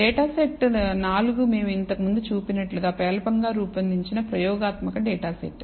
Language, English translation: Telugu, Data set 4 as we saw before is a poorly designed experimental data set